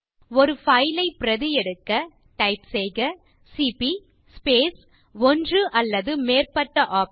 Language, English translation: Tamil, To copy a single file we type cp space one or more of the [OPTION]..